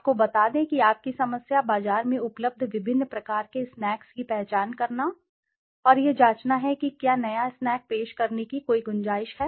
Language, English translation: Hindi, Let us say your problem is to identify the different brands of snacks available in the market and check whether there is a scope for introducing a new snack